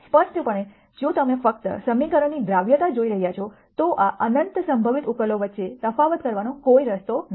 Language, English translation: Gujarati, Clearly if you are looking at only solvability of the equation, there is no way to distinguish between this infinite possible solutions